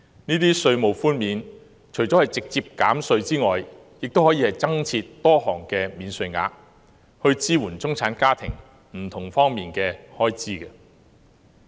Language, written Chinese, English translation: Cantonese, 這些稅務寬免除了可包括直接減稅外，亦可透過增設多項免稅額支援中產家庭在不同方面的開支。, Apart from direct tax reductions such tax relief measures may also include the introduction of a number of new allowances to support middle - class families in meeting various expenses